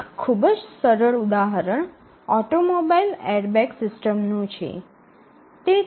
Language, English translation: Gujarati, One of the very simple example may be an automobile airbag system